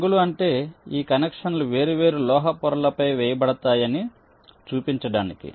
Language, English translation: Telugu, colors means these connections are laid out on different metal layers